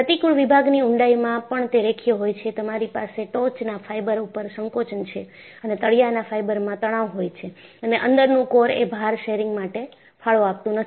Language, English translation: Gujarati, Over the depth of the cross section, it is linear, you have compression on the top fiber and tension in the bottom fiber and the inner core, does not contribute to load sharing